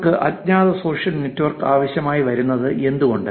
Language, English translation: Malayalam, Why do you need anonymous social network